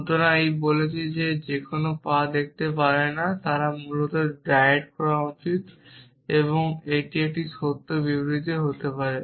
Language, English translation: Bengali, So, this is saying that is anyone cannot see their feet they should diet essentially this may be a true statement